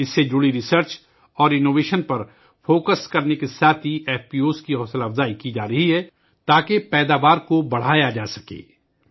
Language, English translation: Urdu, Along with focusing on research and innovation related to this, FPOs are being encouraged, so that, production can be increased